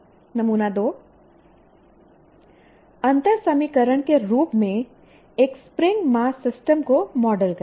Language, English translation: Hindi, Model a spring mass system as a differential equation